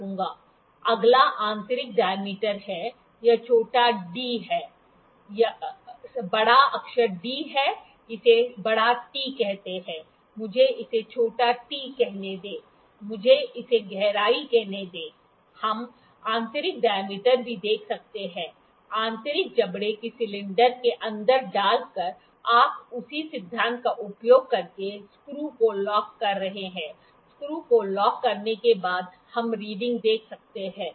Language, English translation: Hindi, Next is the internal dia, this is small d, this is capital d, this is let me call it capital T, let me call it small t, let me call this depth, we can see the internal dia as well by inserting the internal jaws inside the cylinder, you are locking the screws using the same principle, after locking the screws we can see the reading